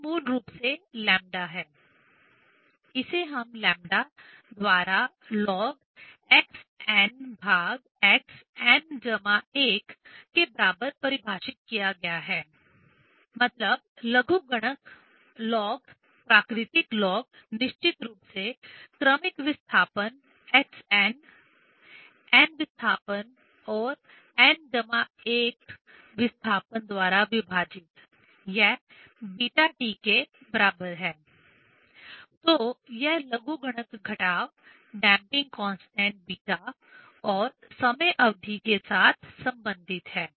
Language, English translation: Hindi, This is basically lambda; it is defined by this lambda equal to ln x n by x n plus 1; means logarithmic of; log of, natural log, of course, successive displacement x n; the n th displacement and by n plus one th displacement; this equal to beta T; so this logarithmic decrement is related with the damping constant beta and the time period T